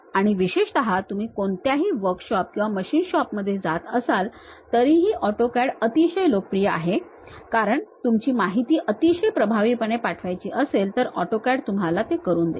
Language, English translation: Marathi, And especially if you are going to any workshops machine shops still AutoCAD is quite popular, because you want to send your information in a very effective way AutoCAD really gives you that kind of advantage